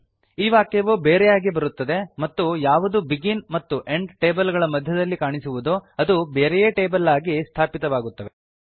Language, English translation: Kannada, This statement comes separately and whatever that appeared between this begin and end table have been placed separately as a table